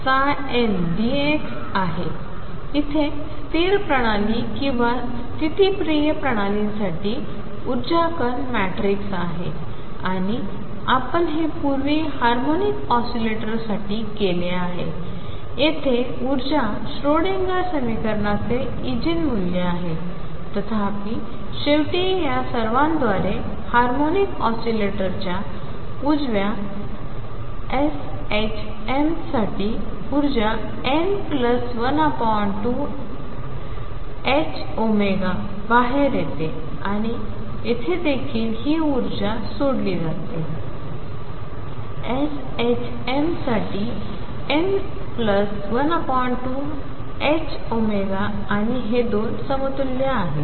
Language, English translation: Marathi, Here the energy for stationary systems or conservative systems is diagonal matrix and you have done that in the past for harmonic oscillator here the energy is Eigen value of Schrödinger equation; however, through all this finally, the energy for harmonic oscillator right s h m comes out to be n plus a half h cross omega and here also we have solved this energy for s h m comes out to be n plus a half h cross omega and the 2 are equivalent